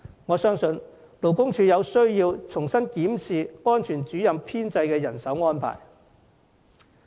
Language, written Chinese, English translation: Cantonese, 我相信勞工處需要重新檢視安全主任的人手編制。, I believe it is necessary for the Labour Department to re - examine the establishment of Occupational Safety Officers